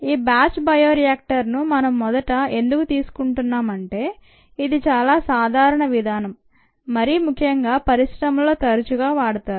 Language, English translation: Telugu, the batch bioreactor ah we are first taking up because it is a very common mode of operation, especially in the industries